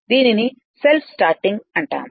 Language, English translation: Telugu, This is a self starting